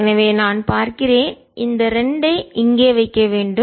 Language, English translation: Tamil, so let me thing we should keep this two here